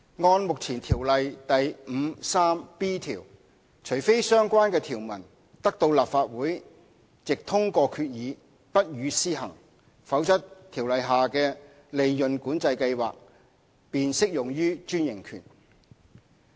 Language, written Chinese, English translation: Cantonese, 按照目前《條例》第 53b 條，除非相關的條文得到立法會藉通過決議不予施行，否則《條例》下的利潤管制計劃便適用於專營權。, Under section 53b of the Ordinance a franchise shall be subject to PCS under the Ordinance unless the Legislative Council by resolution excludes the application of the related provisions